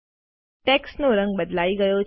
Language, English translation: Gujarati, The color of the text has changed